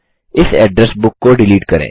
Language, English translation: Hindi, Select Address Books